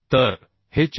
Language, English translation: Marathi, 1 so this will become 460